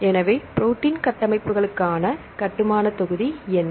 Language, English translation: Tamil, So, what is the building block for protein structures